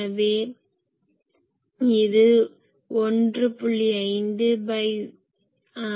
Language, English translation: Tamil, So, that will be 1